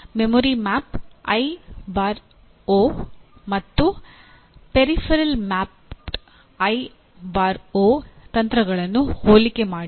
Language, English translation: Kannada, Compare the memory mapped I/O and peripheral mapped I/O techniques